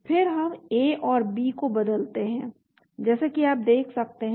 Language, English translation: Hindi, Then we go to change as you can see A and B